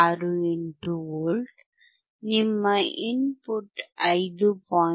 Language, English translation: Kannada, 68V, your input is 5